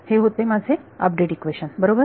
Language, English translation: Marathi, What was my update equation